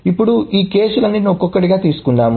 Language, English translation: Telugu, Now, let us take all of these cases one by one